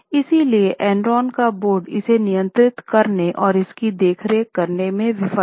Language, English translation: Hindi, So, Enron's board failed to control and oversee it